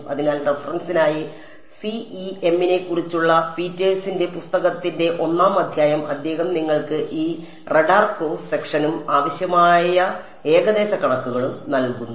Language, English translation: Malayalam, So, for reference I think chapter 1 of Petersons book on CEM, he gives you this radar cross section and the approximations required quite nicely